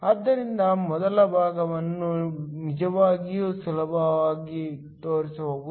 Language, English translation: Kannada, So, the first part can actually be very easily shown